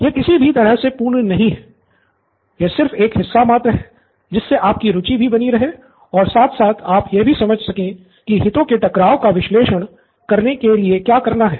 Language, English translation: Hindi, It’s by no means complete, it’s just one part that we are showing for to keep you interested as well as to keep give you a flavour of what it is to do a conflict of interest analysis